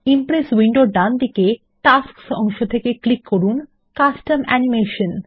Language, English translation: Bengali, From the right side of the Impress window, in the Tasks pane, click on Custom Animation